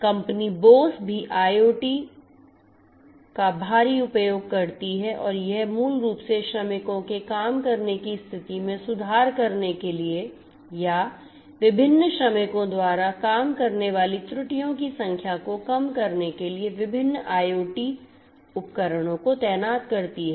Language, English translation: Hindi, The company Bosch also heavily uses IoT and it basically deploys different IoT equipments in order to improve the working condition of the workers or and also to reduce the number of errors that happen in the work floor by the different workers